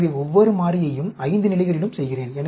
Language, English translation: Tamil, So, I am doing each variable at 5 levels also